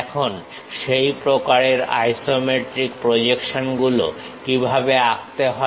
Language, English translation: Bengali, Now, how to draw such kind of isometric projections